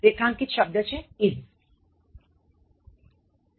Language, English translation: Gujarati, Underlined word are, 5